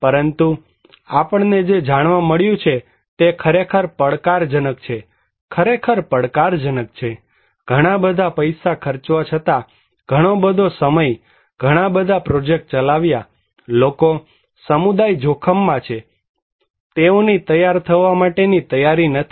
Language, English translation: Gujarati, But, what we found that it is really challenging, is really challenging, after spending a lot of money, a lot of time, running a lot of projects, people; the community at risk, they are not very willing to prepared